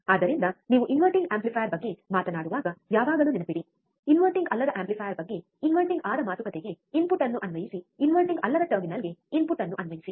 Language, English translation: Kannada, So, always remember when you talk about inverting amplifier, apply the input to inverting talk about the non inverting amplifier apply input to non inverting terminal